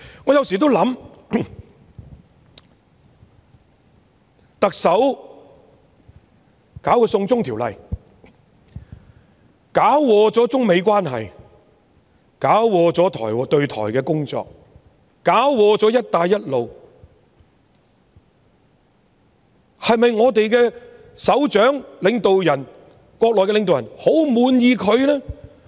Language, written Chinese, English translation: Cantonese, 我有時候想，特首強推"送中條例"搞垮了中美關係、搞垮了對台的工作，搞垮了"一帶一路"，對於我們的首長，國內的領導人是否很滿意呢？, Sometimes I think that since the Chief Executives attempt to force through the extradition to China bill has ruined the China - United States relations spoiled the Taiwan - related work and wrecked the Belt and Road Initiative could it be that the leaders in the Mainland are very happy with our Chief Executive?